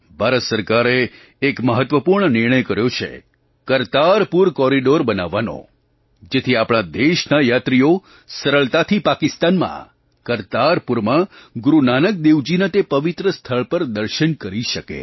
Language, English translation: Gujarati, The Government of India has taken a significant decision of building Kartarpur corridor so that our countrymen could easily visit Kartarpur in Pakistan to pay homage to Guru Nanak Dev Ji at that holy sight